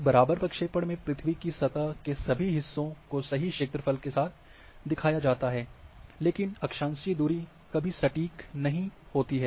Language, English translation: Hindi, On an equivalent projection all parts of earth surface are shown, with the correct area and latitudinal distance are never accurate